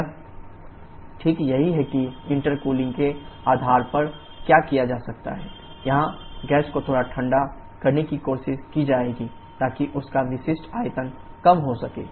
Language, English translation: Hindi, That is precisely what is done by virtue of the intercooling where will try to cool the gas to slightly what temperature so that its specific volume reduces